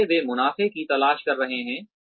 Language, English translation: Hindi, So, they are looking for profits